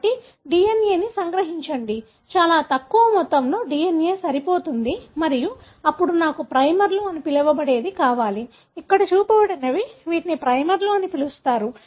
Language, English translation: Telugu, So, extract the DNA, very little amount of DNA is good enough and then I need what is called as primers, the one that are shown here, these are called as primers